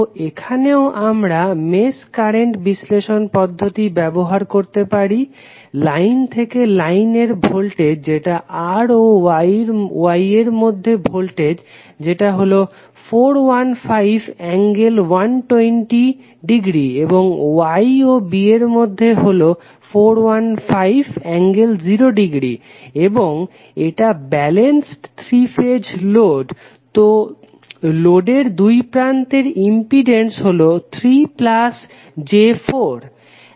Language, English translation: Bengali, So, here also we can apply the mesh current analysis, the voltage a line to line voltage that is voltage across these two terminals is given as 415 angle 120 degree and between these two nodes is 415 angle 0 degree and this is balanced 3 phase load, so the impedance is across the loads is 3 plus 4j ohm